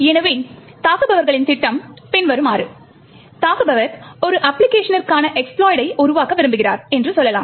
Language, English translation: Tamil, So, the attackers plan is as follows, the attacker, let us say wants to create an exploit for a particular application